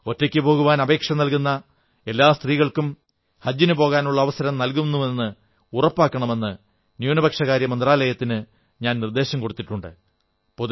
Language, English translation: Malayalam, I have suggested to the Ministry of Minority Affairs that they should ensure that all women who have applied to travel alone be allowed to perform Haj